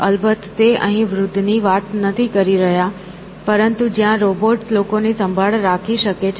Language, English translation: Gujarati, But, of course, he is not talking of old here, but where robots could take care of people